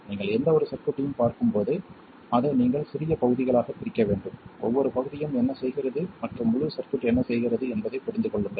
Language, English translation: Tamil, When you look at any circuit you have to kind of break it down into smaller pieces, understand what each piece is doing and also what the entire circuit is doing